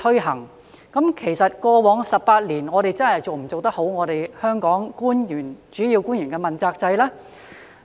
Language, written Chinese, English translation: Cantonese, 可是，在過去的18年，政府有否認真執行主要官員問責制呢？, However has the Government ever implemented in a serious manner the accountability system for principal officials over the past 18 years?